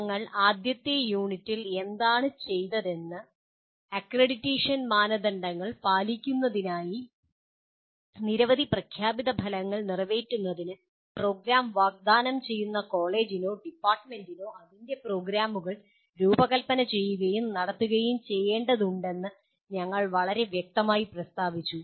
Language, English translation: Malayalam, And what we have done in the first unit, we stated very clearly that the college or the department offering the program needs to design and conduct its programs to meet several stated outcomes to meet the accreditation criteria